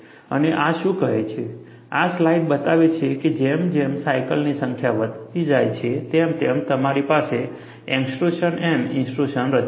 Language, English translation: Gujarati, And what this say is, this slide shows is, as the number of cycles increases, you will have extrusion and intrusion form, that is what it says